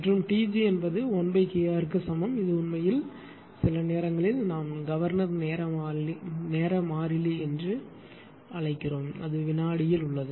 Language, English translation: Tamil, And T g I told you T g equal to 1 upon KR this is actually sometimes we call governor time constant right it is in second it is in second right